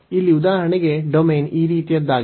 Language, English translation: Kannada, So, here for example have a domain is of this kind